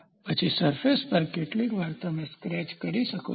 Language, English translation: Gujarati, Then, on the surface sometimes you can have a scratch